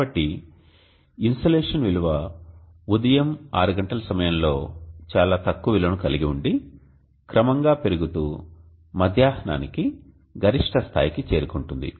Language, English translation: Telugu, So insulation value would probably be at a pretty low value at around 6 o clock in the morning and gradually increase to a peak at noon and then further decrease again to 0 by dusk